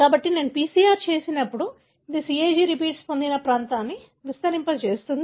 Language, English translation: Telugu, So, when I do a PCR, this is going to amplify the region that has got CAG repeats